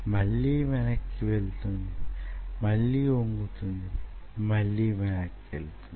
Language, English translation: Telugu, then again it bend and again it goes back again, it bends again, it goes back, again it bends, again it goes back